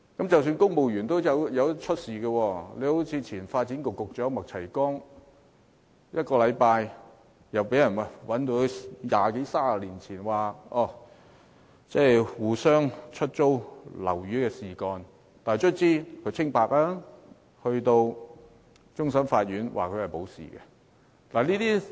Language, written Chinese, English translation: Cantonese, 即使公務員亦會出事，例如前發展局局長麥齊光出任局長一星期，便被人揭發二三十年前曾與另一人互相出租物業，再向政府申請租金津貼，但最終終審法院判決他無罪，還了他清白。, Even civil servants could run into trouble . Roughly a week after former Secretary for Development MAK Chai - kwongs assumption of office it was exposed that he had collaborated with another person some 20 or 30 years ago in renting each others flat and applied to the Government for rent subsidies but the Court of Final Appeal ultimately acquitted and vindicated him